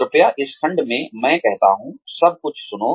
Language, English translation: Hindi, Please listen to everything, I say, in this section